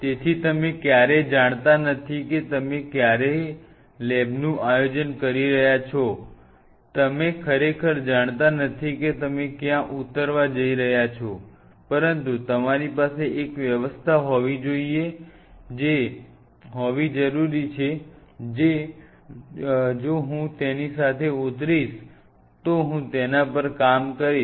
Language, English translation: Gujarati, So, you never know when you are planning a lab you really do not know where you are going to land up with, but you have to have a provision that you know if I land up with it I will be working on it